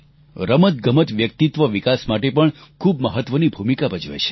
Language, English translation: Gujarati, Sports play an important role in personality development also